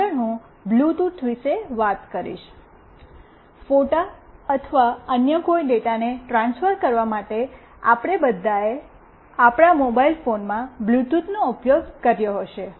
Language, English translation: Gujarati, Next I will talk about Bluetooth; we all might have used Bluetooth in our mobile phones for transferring photos or any other data